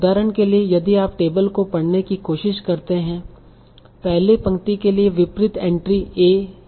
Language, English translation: Hindi, So for example, if you try to read the table the entry for the first row, the entry corresponding to AE